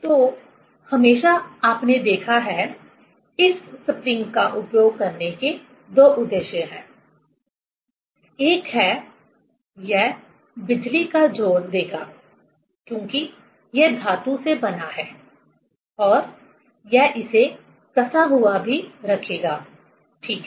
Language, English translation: Hindi, So, there is always, you have seen, there is a spring because of two purposes for using this spring; one is: it will give electrical connection, because it is made of metal and also it will keep it tight, ok